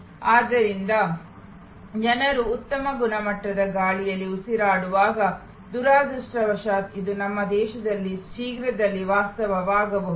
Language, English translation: Kannada, So, people though in their to breath for at while good high quality air, unfortunately this may become a reality in our country very soon